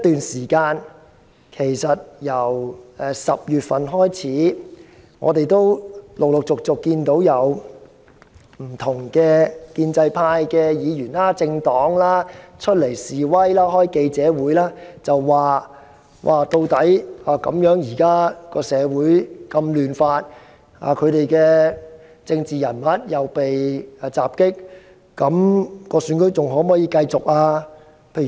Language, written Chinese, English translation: Cantonese, 從10月起，不斷有建制派議員或政黨召開記者會。表示社會現在非常動亂，他們的政治人物又被襲，究竟區議會選舉是否還可以如期舉行？, Since October pro - establishment Members or political parties have constantly convened press conferences querying whether the District Council DC Election can still be held as scheduled given the chaotic social situation and the fact that their political figures have been assaulted